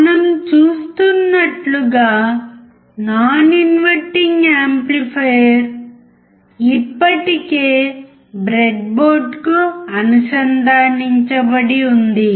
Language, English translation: Telugu, As we see, the non inverting amplifier is already connected to the breadboard